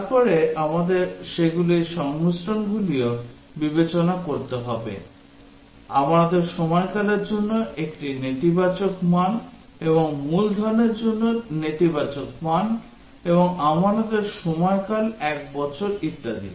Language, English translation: Bengali, Then we will have to consider combinations of those also, a negative value for period of deposit and negative value for the principal, negative value for the principal and period of deposit is 1 year and so on